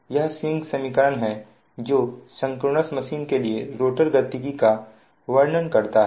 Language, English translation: Hindi, this is swing equation and your, it describes the rotor dynamics of the synchronous machine